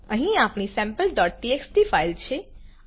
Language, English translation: Gujarati, Here is our sample.txt file